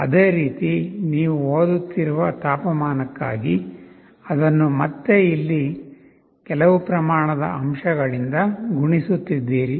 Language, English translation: Kannada, Similarly for the temperature you are reading the temperature, you are again multiplying it by some scale factor here